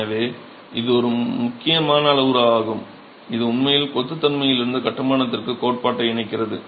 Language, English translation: Tamil, So, this is an important parameter that really links the theory from the behavior of masonry to construction